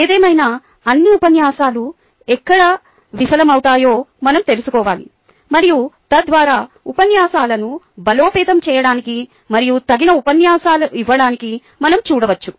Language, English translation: Telugu, however, we need to be aware of where all lectures fail, and so on and so forth, so that we can ah look to strengthen lectures and give appropriate ah lectures